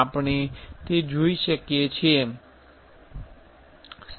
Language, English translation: Gujarati, So, you can see